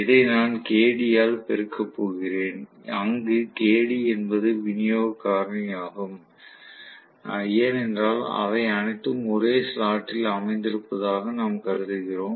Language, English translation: Tamil, And I am going to have this multiplied by Kd, where Kd is the distribution factor because we assume that all of them are located in the same slot